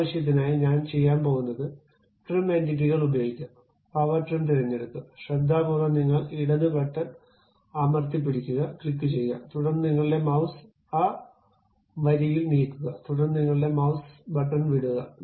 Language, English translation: Malayalam, For that purpose, what I am going to do use trim entities, pick power trim, carefully click hold your left button click hold, and move your mouse along that line, then release your mouse button